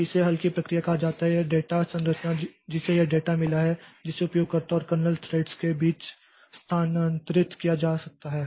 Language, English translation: Hindi, This is this data structure which has got this data that can be transferred between user and kernel threads